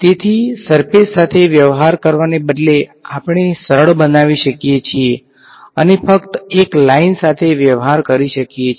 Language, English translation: Gujarati, So, instead of dealing with the surface we can make life simpler and just deal with a line